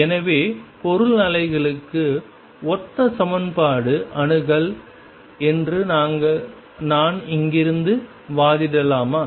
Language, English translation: Tamil, So, can I argue from here that a similar equation access for material waves